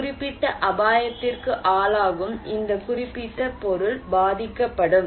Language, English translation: Tamil, This particular object that is exposed to a particular hazard will be impacted